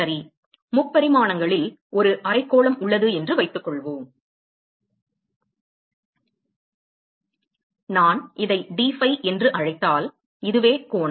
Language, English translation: Tamil, Let us assume that there is a hemisphere which is present in 3 dimensions and if I assume that so this is the angle if I call this as dphi